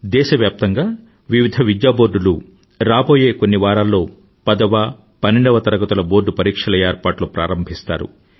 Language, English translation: Telugu, In the next few weeks various education boards across the country will initiate the process for the board examinations of the tenth and twelfth standards